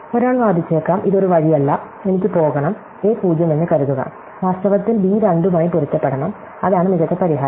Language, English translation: Malayalam, So, one might argue that, this is not the way, I want to go, supposing a 0, in fact, should be match to b 2, that would be the best solution